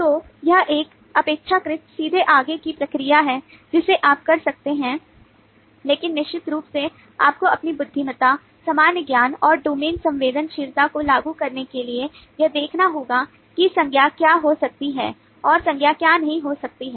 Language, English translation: Hindi, so that is a relatively straight forward process that you can do, but of course you will have to keep on applying your intelligence, common sense and the domain sensitivity to see what could be nouns and what may not be nouns